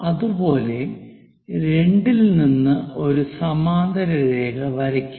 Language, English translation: Malayalam, Parallel to that, we will draw a line